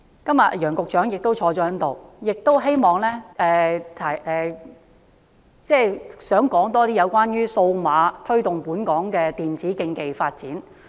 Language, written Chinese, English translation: Cantonese, 今天楊局長亦在席，我也想討論推動本港電子競技發展。, Secretary Nicholas YANG is also present today . I would also like to discuss the initiative of promoting e - sports in Hong Kong